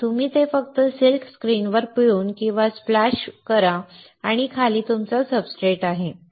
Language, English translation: Marathi, And you just squeeze or splash it across the silk screen and below is your substrate